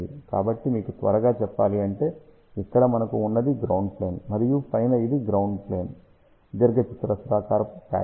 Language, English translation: Telugu, So, just to tell you quickly, so what we have here this is a ground plane and this is on top the ground plane or rectangular patch